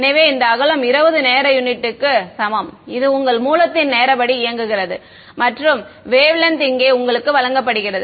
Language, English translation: Tamil, So, this width is equal to 20 time units is giving you the turn on time of the source and the wave length is given to you over here